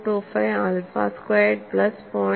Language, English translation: Malayalam, 025 alpha squared plus 0